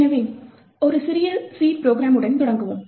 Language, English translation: Tamil, So, let us start with a small C program